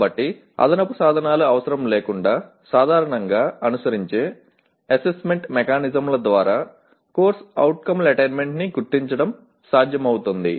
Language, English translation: Telugu, So it should be possible to determine the attainment of a CO through the normally followed assessment mechanisms without needing additional instruments